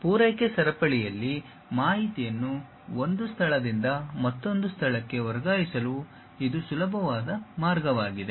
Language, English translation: Kannada, And, this is the easiest way of transferring information from one location to other location in the supply chain